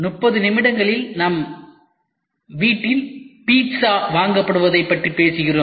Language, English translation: Tamil, We talk about pizza getting delivered at our residence in 30 minutes